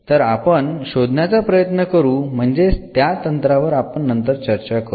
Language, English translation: Marathi, So, we try to find I mean that is the techniques we will discuss later on